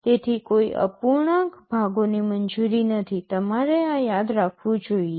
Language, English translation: Gujarati, So, no fractional parts are allowed you should remember this